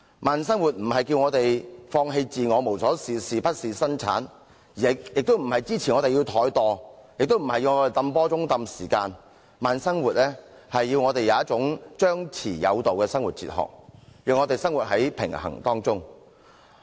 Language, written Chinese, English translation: Cantonese, 慢生活並非呼籲我們放棄自我、無所事事或不事生產，亦不是支持我們怠惰或"泵波鐘"拖延時間，而是要我們有一種張弛有度的生活哲學，讓我們活在平衡當中。, Slow living does not ask us to give up ourselves sit idle or be unproductive nor does it support slacking or procrastination . It encourages us to embrace a reasonably flexible philosophy of living so that we live in a balance